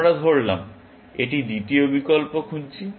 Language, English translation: Bengali, Let us try the second option